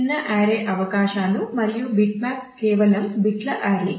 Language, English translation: Telugu, So, small range of possibilities and bitmap is simply array of bits